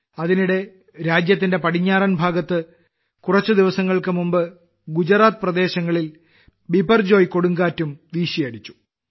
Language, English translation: Malayalam, Meanwhile, in the western part of the country, Biparjoy cyclone also hit the areas of Gujarat some time ago